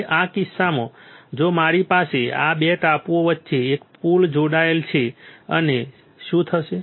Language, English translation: Gujarati, Now in this case if I have a bridge right connected between these 2 islands and what will happen